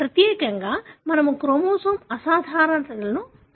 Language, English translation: Telugu, Specifically we will be looking into chromosomal abnormalities